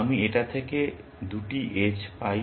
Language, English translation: Bengali, I get 2 edges out of it